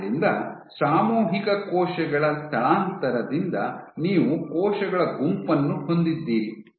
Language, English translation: Kannada, So, by collective cell migration you have a group of cells